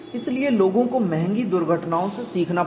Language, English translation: Hindi, So, people had to learn by costly accidents